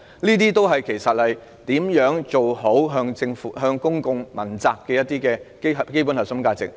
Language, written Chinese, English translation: Cantonese, 此事關乎如何好好落實向公眾問責的基本核心價值。, This concerns the question of how to properly realize the basic core value of public accountability